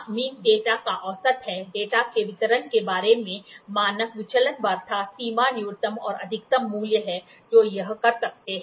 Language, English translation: Hindi, Mean is the average of data, standard deviation talks about the distribution of the data, range is the minimum and the maximum value which it can